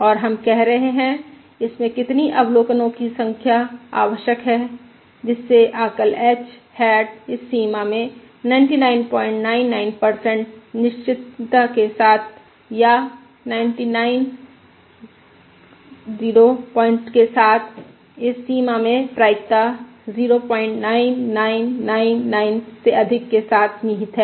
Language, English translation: Hindi, And we are saying: what is the number of observation in that is required such that the estimate, the estimate h hat, lies in this range, range with 99 point 99 percent certainty or with 99 point [rise], lies in this range with probability greater than point 9999